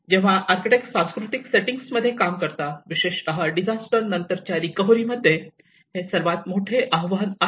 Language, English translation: Marathi, This is one of the biggest challenge when an architects work in a cultural settings, especially in the post disaster recover